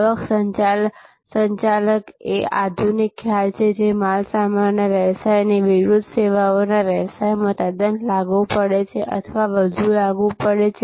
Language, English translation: Gujarati, Revenue management is an advance concept, quite applicable or rather more applicable in the services business as oppose to in the goods business